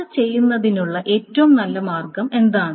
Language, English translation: Malayalam, So what is the best way of doing it